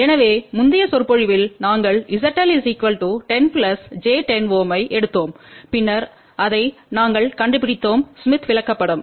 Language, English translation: Tamil, So, in the previous lecture we had taken Z L equal to 10 plus j 10 ohm and that we had located that on the smith chart